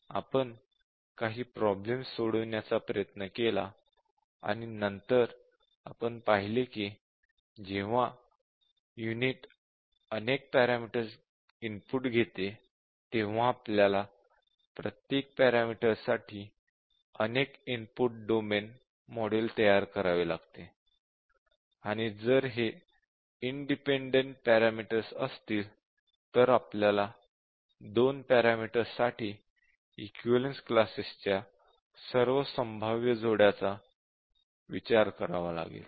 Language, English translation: Marathi, We tried couple of problems and then we looked at when a unit test multiple parameters, and then we have to model multiple input domains for each of these parameters; and if these parameters are independent, then we have to consider all possible combinations of the equivalence classes for the two parameters